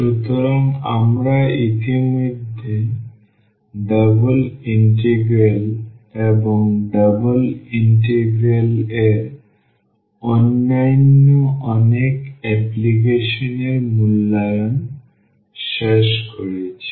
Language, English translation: Bengali, So, we have already finished evaluation of double integrals and many other applications of double integral